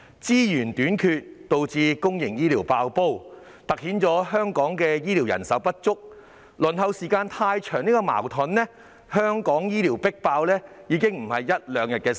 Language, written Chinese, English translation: Cantonese, 資源短缺導致公營醫療"爆煲"，凸顯了香港醫護人手不足、輪候時間太長的問題，而香港醫療系統"迫爆"已非一兩天的事情。, The shortage of resources has resulted in the overburdening of the public healthcare system highlighting the problems of healthcare manpower shortage as well as excessively long waiting time in Hong Kong . Actually the overburdening of the public healthcare system in Hong Kong did not occur overnight